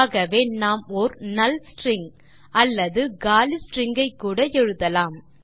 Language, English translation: Tamil, So we can even put a null string or an empty string